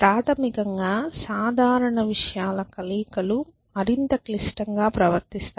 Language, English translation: Telugu, So, basically combinations of simple things tend to behave in a more complex way essentially